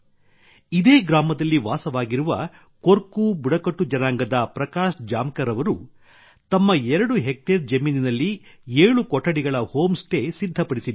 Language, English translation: Kannada, Prakash Jamkar ji of Korku tribe living in the same village has built a sevenroom home stay on his two hectare land